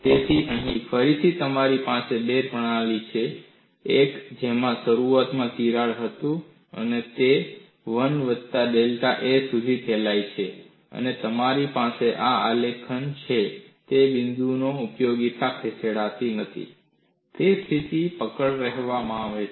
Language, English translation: Gujarati, So, here, again you have two systems; one in which crack was initially a; it has propagated to a plus delta a, and you have these graphs and the point of application do not know; it is called fixed grips